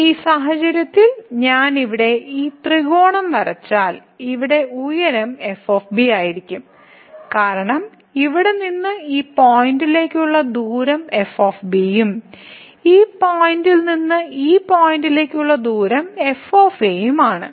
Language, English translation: Malayalam, So, in this case if I draw this triangle here the height here will be because the distance from here to this point is and the distance from this point to this point here is